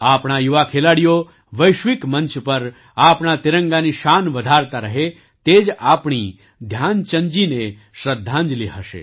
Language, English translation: Gujarati, May our young sportspersons continue to raise the glory of our tricolor on global forums, this will be our tribute to Dhyan Chand ji